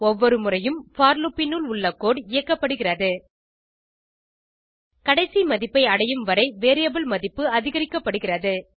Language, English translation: Tamil, Every time the code inside for loop is executed, variable value is incremented, till it reaches the end value